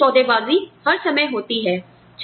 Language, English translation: Hindi, Collective bargaining, happens all the time